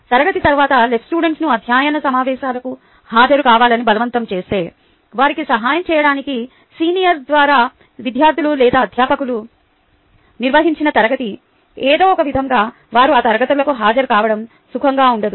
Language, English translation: Telugu, forcing the ls to attend ah study sessions after class, you know ah um, conducted by senior students or faculty to help them, somehow they dont feel comfortable then attending those classes